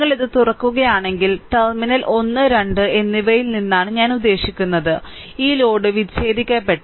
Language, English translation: Malayalam, If you open this, I mean from terminal 1 and 2, this load is disconnected